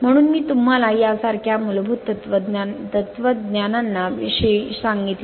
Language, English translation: Marathi, So, this is the thing I told you basic philosophy is like this